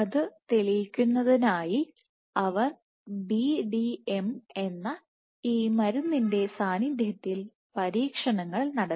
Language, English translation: Malayalam, So, to demonstrate that or to test that what they did was they did experiments in the presence of this drug called BDM